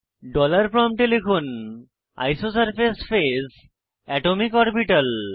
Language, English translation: Bengali, At the ($) dollar prompt type isosurface phase atomicorbital